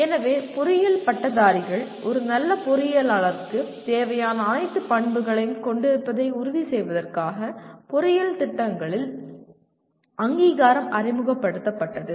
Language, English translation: Tamil, So accreditation of engineering programs was introduced to ensure that graduates of engineering programs have all the requisite characteristics of a good engineer